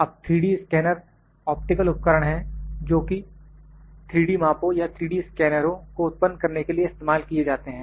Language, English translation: Hindi, Now, 3D scanners are optical devices used to create 3D measurements or 3D scanners, we have 3D scanners